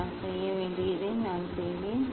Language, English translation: Tamil, then I will what I have to do